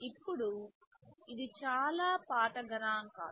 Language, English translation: Telugu, Now, this is a pretty old piece of statistics